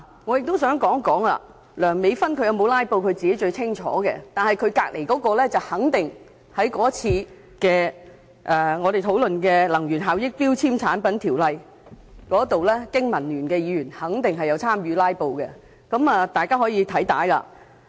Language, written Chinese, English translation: Cantonese, 我亦想指出，梁美芬議員有否"拉布"她自己最清楚，但她旁邊那位經民聯議員則肯定有在我們上次討論有關《能源效益條例》的決議案時參與"拉布"，大家可翻看會議的錄影片段。, I would also like to point out that Dr Priscilla LEUNG herself should know very well if she has taken part in filibustering but the Member from BPA who is sitting beside her has definitely engaged in filibustering when we were discussing the resolution moved under the Energy Efficiency Ordinance last time . We can confirm this by watching a playback of the video recordings of the meetings